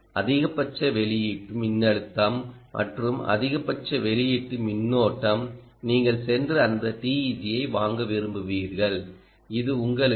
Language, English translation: Tamil, maximum output voltage and maximum output current, you will want to go and buy that teg which gives you the maximum ah power